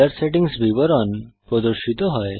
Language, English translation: Bengali, The Color Settings details appears